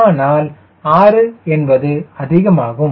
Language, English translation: Tamil, six is a higher side